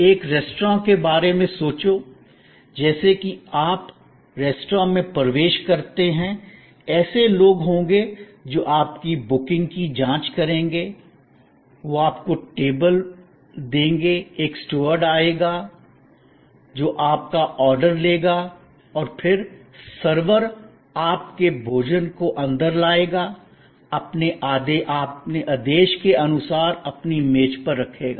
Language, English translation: Hindi, Think of a restaurant, so as you enter the restaurant, there will be people who will check your booking, they will assure you to the table, a steward will come, who will take your order and then, the servers will bring your food to your table according to your order